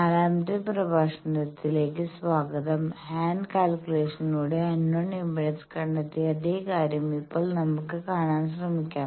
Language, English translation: Malayalam, Welcome to the 4th lecture, that now we will try to see that the same thing which we have found the unknown impedance by hand calculations